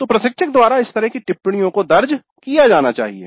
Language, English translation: Hindi, So these kind of observations by the instructor should be noted down